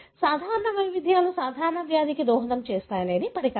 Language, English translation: Telugu, The hypothesis is that common variants contribute to common disease